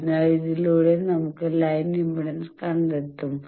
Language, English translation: Malayalam, So, by this we can find the line impedance